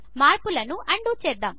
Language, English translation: Telugu, Let us undo the changes